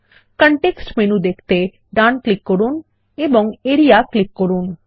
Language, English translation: Bengali, Right click to view the context menu and click Area